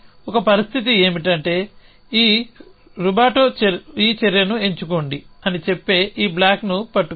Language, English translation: Telugu, A situation is that this rubato is holding this block K that say it pick this action